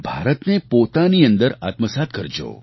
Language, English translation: Gujarati, Internalize India within yourselves